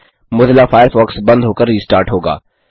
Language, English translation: Hindi, Mozilla Firefox will shut down and restart